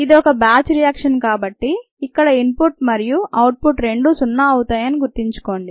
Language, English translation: Telugu, remember, this is a batch reaction and therefore the input and output terms are zero, the input and output rates are zero